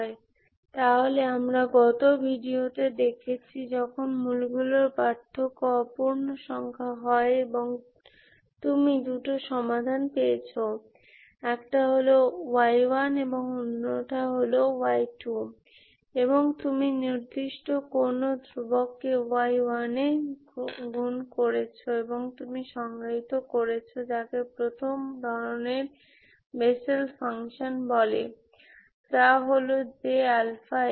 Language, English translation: Bengali, So, we have seen in the last video when the roots difference is a non integer and you found two solutions, one is an y 2 and you multiplied certain constant to y 1 and you defined what is called as Bessel function of first kind that is J alpha of x